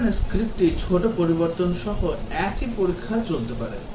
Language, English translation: Bengali, Whereas the script with the small change the same test can run